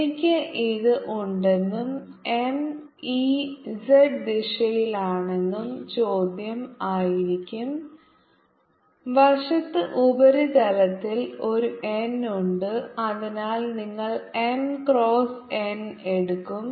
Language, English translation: Malayalam, but you may raise a question and question would be: if have this and m in z direction on the site surface there is n, so that you take m cross n